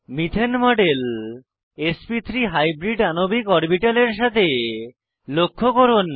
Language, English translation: Bengali, Observe the model of methane with sp3 hybridized molecular orbitals